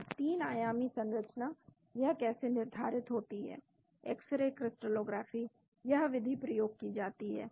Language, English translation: Hindi, And the 3 dimensional structure how it is determined, x ray crystallography, this is the method used